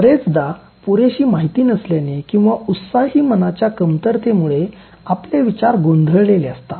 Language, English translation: Marathi, Often thinking is muddled for lack of sufficient information or for want of a fresh mind